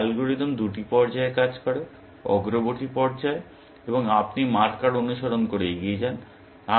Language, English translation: Bengali, So, the algorithm works in two phases; in the forward phase, you move forward following the markers